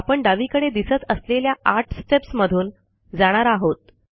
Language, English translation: Marathi, Notice the 8 steps that we will go through on the left hand side